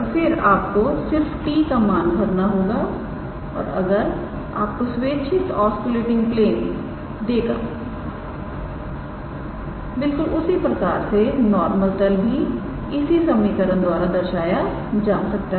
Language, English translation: Hindi, And then just substitute the value of t and that will give us the required osculating plane; similarly the normal plane can be given by this equation